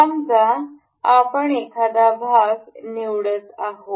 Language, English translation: Marathi, Suppose we are selecting a part